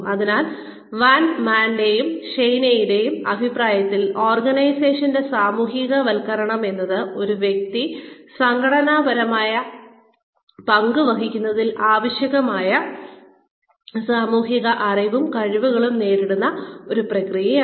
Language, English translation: Malayalam, So, according to Van Maanen and Schein, the organizational socialization is a process by which, an individual acquires the social knowledge and skills, necessary to assume an organizational role